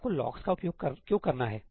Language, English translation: Hindi, Why do you have to use locks